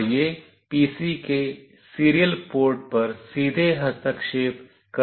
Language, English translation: Hindi, And it can be directly interfaced to the serial port of the PC